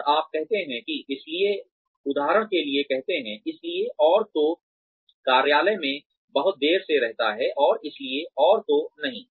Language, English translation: Hindi, And, you say that, so and so is, say, for example, so and so stays in the office very late, and so and so does not